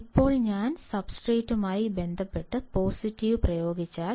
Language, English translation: Malayalam, Now, if I apply positive with respect to the substrate